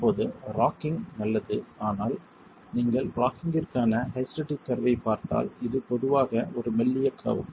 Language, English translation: Tamil, Now, rocking is good but if you look at the hysteric curve for rocking, it's typically a thin curve